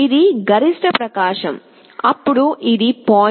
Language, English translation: Telugu, This is the maximum brightness, then this is 0